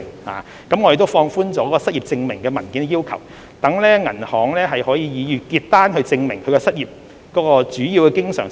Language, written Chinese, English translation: Cantonese, 我們亦已放寬對失業證明文件的要求，容許以銀行月結單證明申請人的主要經常收入來源。, We have relaxed the requirement of documentary unemployment proof to allow the use of monthly bank statements as proof of the applicants main source of recurrent income